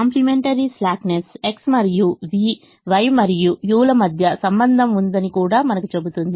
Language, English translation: Telugu, complimentary slackness also tells us that there is a relationship between x and v and y and u